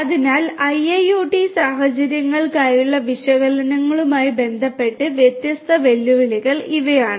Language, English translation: Malayalam, So, these are the different challenges with respect to analytics for IIoT scenarios